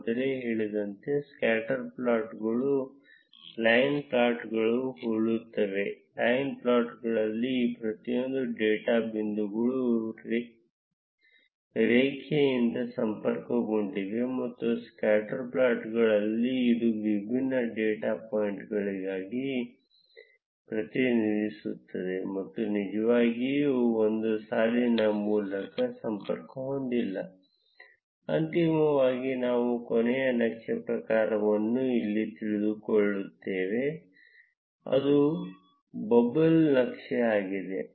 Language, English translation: Kannada, As mentioned earlier scatter plots are similar to line plots; in line plots each of these data points is connected by a line, whereas in scatter plots it is just represented as a different set of data points and not really connected by a line Finally, I will cover the last chart type, which is a bubble chart